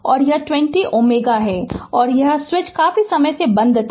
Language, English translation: Hindi, And this is 20 ohm; and this switch was closed for long time